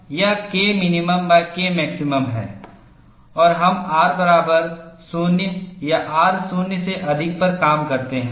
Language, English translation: Hindi, And we work on R 0 or R greater than 0